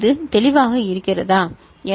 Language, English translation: Tamil, Is it clear right